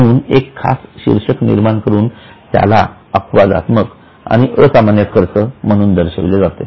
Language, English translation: Marathi, So, special headings are created to show it as exceptional and extraordinary